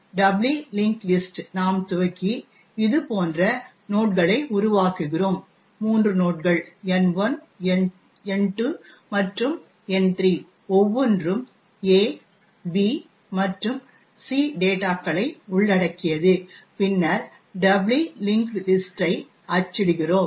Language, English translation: Tamil, We initialise that doubly linked list, create nodes like this, new node as your web created three nodes N1, N2 and N3 each comprising of the data A, B and C and then printed the doubly linked list